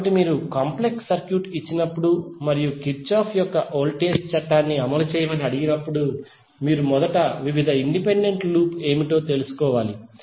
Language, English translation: Telugu, So when you have given a complex circuit and you are asked to execute the Kirchhoff’s voltage law, then you have to first find out what are the various independent loop